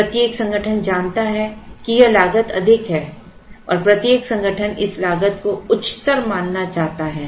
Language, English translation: Hindi, Every organization knows that this cost is high and every organization wishes to treat this cost as high